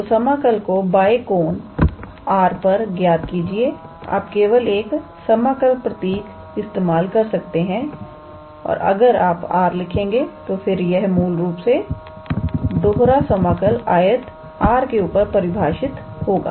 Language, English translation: Hindi, So, evaluate integral over the left angle R; you can also use only single integral symbol and if you write R then that is also how to say a way to say that it is basically a double integral defined on the rectangle R